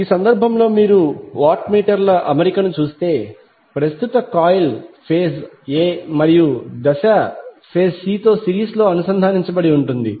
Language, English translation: Telugu, In this case if you see the arrangement of watt meters the current coil is connected in series with the phase a and phase c